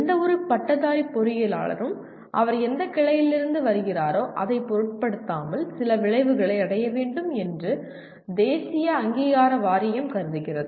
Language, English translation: Tamil, That is the National Board Of Accreditation considers there are certain outcomes any graduate engineer should attain, irrespective of the branch from which he is coming